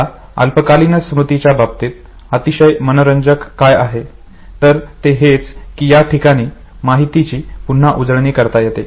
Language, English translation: Marathi, Now, what is very interesting in short term storage is that there could be a possibility of rehearsing the information